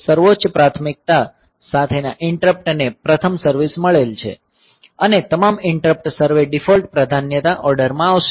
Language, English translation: Gujarati, The interrupt with the highest priority will get service first and all interrupts survey default priority order